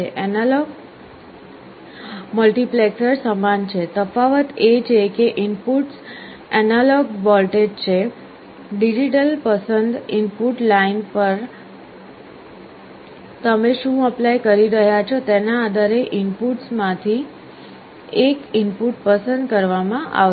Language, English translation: Gujarati, Analog multiplexer is similar, the difference is that the inputs are analog voltages; one of the input will be selected at the output depending on what you are applying at the digital select input lines